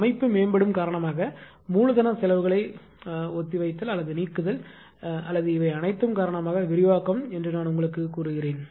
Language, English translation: Tamil, And these are I told you postponement or elimination of capital expenditure due to system improvement or an expansion due to this all this reason